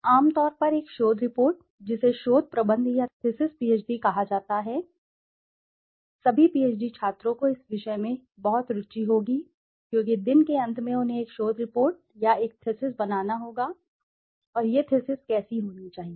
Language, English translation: Hindi, Generally a research report which is called a dissertation or thesis, thesis PhD, all PhD students would be highly interested in this subject because at the end of the day they have to make a dissertation report or a thesis and how should this thesis be